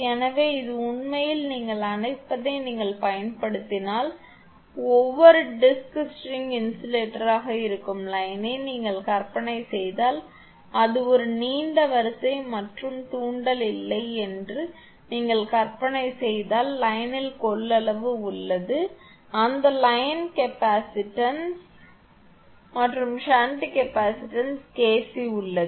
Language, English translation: Tamil, So, this is actually if you use what you call that that most I mean if you imagine the line that is string insulator in each disk if you imagine that it is a long line and no inductance is there, but capacitance is there in the line that line capacitance and shunt capacitance KC is there